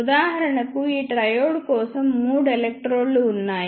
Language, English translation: Telugu, For example, ah for this triode there are three electrodes